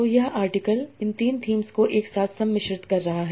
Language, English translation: Hindi, So this article is blending these three topics in different proportions